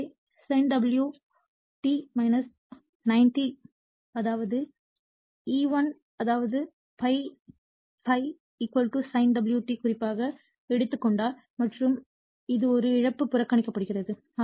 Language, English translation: Tamil, So, sin omega t minus 90 that is E1 right; that means, if ∅ = the reference that is your sin omega t right and it is a loss is neglected